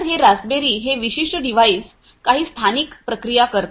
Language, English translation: Marathi, So, this particular device this raspberry pi it does some local processing right